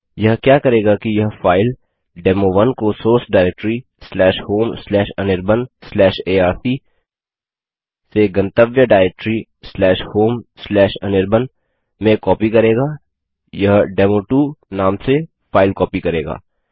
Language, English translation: Hindi, What this will do is that it will copy the file demo1 from source diretory /home/anirban/arc/ to the destination directory /home/anirban it will copy to a file name is demo2